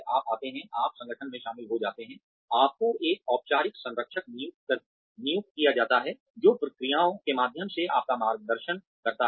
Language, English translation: Hindi, You come, you join the organization, you are assigned a formal mentor, who guides you through the processes